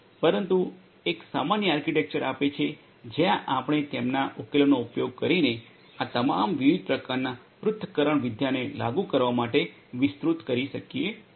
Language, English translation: Gujarati, But gives a common architecture where we could extend to implement all these different types of analytics using their solution